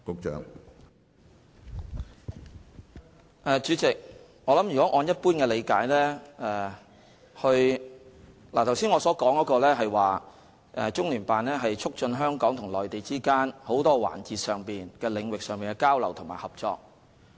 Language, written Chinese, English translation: Cantonese, 主席，如果按一般理解來......我剛才所說的是，中聯辦的職能是，促進香港與內地之間在眾多環節、領域上的交流和合作。, President generally speaking Just now I actually meant to say that one function of CPGLO is to promote exchanges and cooperation between Hong Kong and the Mainland in many different areas